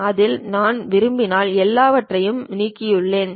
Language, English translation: Tamil, In this if I would like to because I have deleted everything